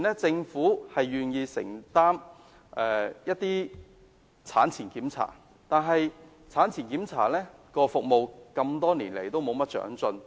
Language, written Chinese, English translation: Cantonese, 政府目前有承擔一些產前檢查，但服務多年來也沒有長進。, At present the Government undertakes certain responsibilities of antenatal check - ups but there is not much improvement in such services